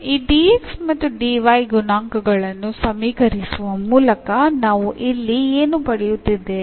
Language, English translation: Kannada, So, equating these coefficients now of tell dx and dy, what we are getting here